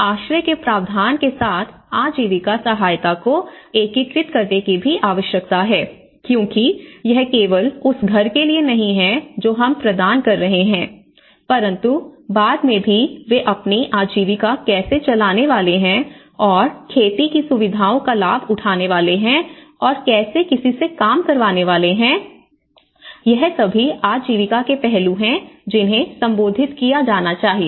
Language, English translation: Hindi, There is also need to integrate livelihood assistance with shelter provision because it is not just for the home we are providing, how they can procure their livelihood later on, how they can do their farming facilities, how they can if there any labour how can they can get the work